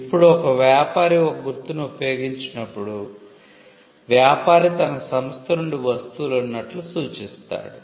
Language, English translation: Telugu, Now, a trader when he uses a mark, the trader signifies that the goods are from his enterprise